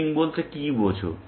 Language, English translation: Bengali, Here, what does looping mean